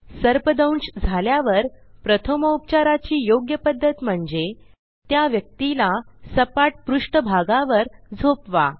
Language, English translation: Marathi, The correct way to give first aid in case of a snake bite is Make the person lie down on a flat surface